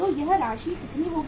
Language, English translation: Hindi, So how much is going to be this amount